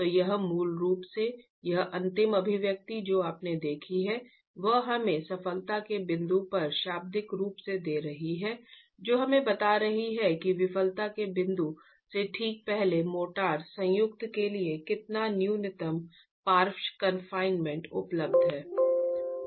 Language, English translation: Hindi, So this basically this last expression that you have seen is giving us literally at the point of failure is telling us how much minimum lateral confinement is available to the motor joint just before the point of failure